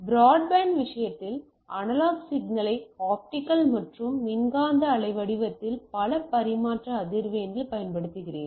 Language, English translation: Tamil, Whereas in case of a broadband uses the analog signal in the form of a optical and electromagnetic wave over multiple transmission frequency